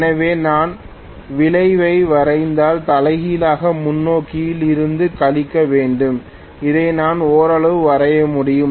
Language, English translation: Tamil, So, if I draw the resultant I have to subtract from forward the reversed and I can draw it somewhat like this